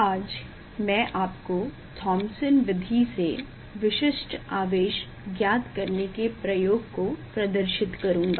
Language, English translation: Hindi, today I will demonstrate one experiment that is Determination of Specific Charge of an Electron by Thomson Method